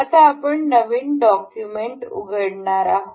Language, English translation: Marathi, We now will open up new document